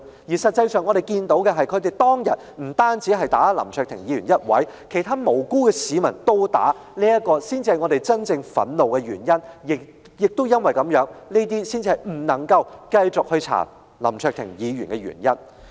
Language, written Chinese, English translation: Cantonese, 事實上，我們所看到的，是他們當天不止毆打林卓廷議員一人，連其他無辜市民也被毆打，這才是教我們真正感到憤怒的原因，亦是我們認為不能繼續調查林卓廷議員的原因。, As we can see they actually beat up not only Mr LAM Cheuk - ting alone but also other innocent people that day . This is rather the reason why we are really infuriated and also why we do not think this Council should proceed with an inquiry into Mr LAM Cheuk - ting